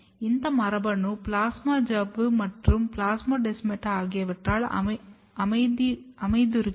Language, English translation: Tamil, And if you look the localization, this protein is localized to the plasma membrane as well as the plasmodesmata